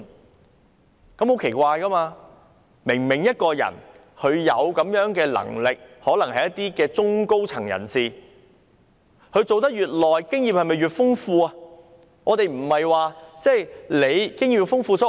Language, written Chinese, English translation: Cantonese, 這樣是很奇怪的，明明一個人有這樣的能力，他們可能是中、高層人士，而當他們的工作年資越長，經驗不就越豐富嗎？, This is strange because these people obviously have calibre . They are probably members of the middle or senior management and when their seniority is higher does it not mean that they are more experienced?